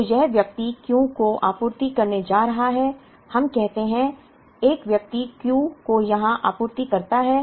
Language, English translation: Hindi, So, this person is going to supply the Q let us say, a person supplies Q here